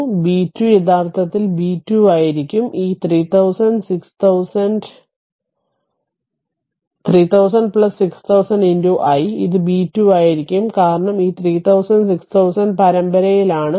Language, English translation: Malayalam, So, b 2 will be actually b 2 will be this 3000 and 6000, 3000 plus 6000 into i that will be your b 2 because this 3000, 6000 are in series right